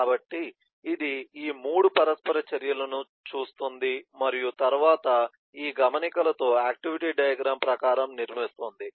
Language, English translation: Telugu, so it looks at these 3 interactions and then builds in terms of the activity diagram with these notes